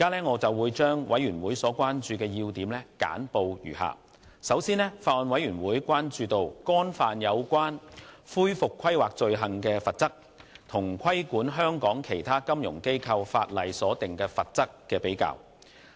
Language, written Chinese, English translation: Cantonese, 我現將委員會所關注的要點簡報如下：首先，法案委員會關注干犯有關恢復規劃的罪行所訂明的罰則，與規管香港其他金融機構的法例所訂的罰則的比較。, I would like to briefly report on the points of concern of the Bills Committee as follows First the Bills Committee is concerned about how the penalties prescribed for committing an offence relating to recovery planning compare with the penalties under legislation regulating other financial institutions FIs in Hong Kong